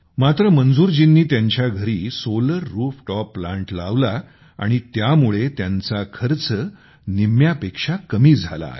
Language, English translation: Marathi, 4 thousand, but, since Manzoorji has got a Solar Rooftop Plant installed at his house, his expenditure has come down to less than half